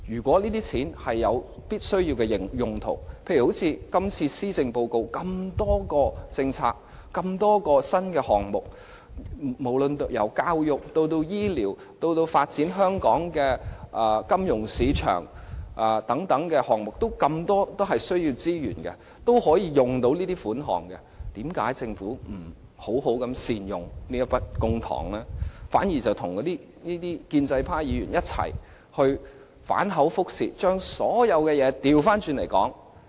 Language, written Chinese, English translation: Cantonese, 這些錢可作十分重要的用途，例如施政報告中提出了多項政策和新項目，範圍遍及教育、醫療，甚或是發展香港金融市場等，這些項目都很需要資源，需要款項，為何政府不善用這筆公帑，反而聯同建制派議員反口覆舌，將所有事情的緩急次序顛倒？, It can be spent in many important ways such as implementing the new policies and initiatives mentioned in the Policy Address in areas such as education health care or even the development of Hong Kongs financial market . All these initiatives are in need of resources and money . Why does the Government not make good use of this sum of public money?